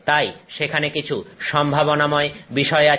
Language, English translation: Bengali, So, all these possibilities are there